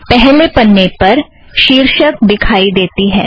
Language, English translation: Hindi, The first page shows the title